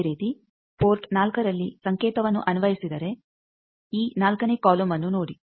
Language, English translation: Kannada, Similarly if signal is applied at port 4, look at this 4th column